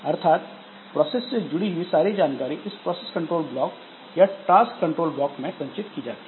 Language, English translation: Hindi, So, information associated with each process, so they are stored in this process control block or task control block